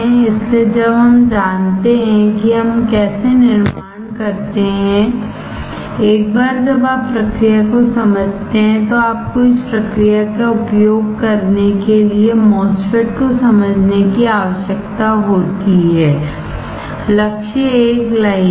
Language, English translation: Hindi, So, that once we know how we fabricate, once you understand process you need to use this process to understand MOSFET; one line goal